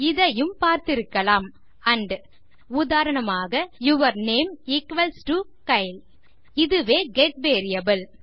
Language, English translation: Tamil, You may have seen and something else as well, for example your name equals to Kyle This is the get variable